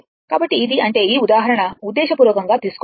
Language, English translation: Telugu, So, this; that means, this example intentionally I have taken